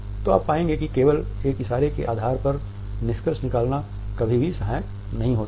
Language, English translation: Hindi, So, you would find that jumping into conclusion on the basis of a single isolated gesture is never helpful